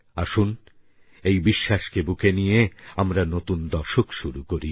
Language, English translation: Bengali, With this belief, come, let's start a new decade